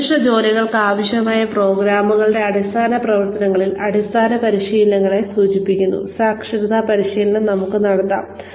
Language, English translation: Malayalam, We can have literacy training, which refers to basic training, in the rudimentary functions of programs, required for specific jobs